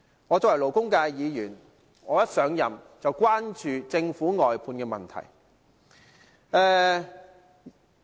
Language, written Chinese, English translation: Cantonese, 作為勞工界的議員，我上任後便關注政府外判制度的問題。, As a Member representing the labour sector I have been concerned about the outsourcing system of the Government since I assumed office